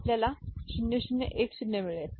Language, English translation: Marathi, Shall we get 0 0 1 0